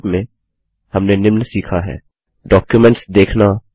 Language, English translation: Hindi, In this tutorial we will learn the following: Viewing Documents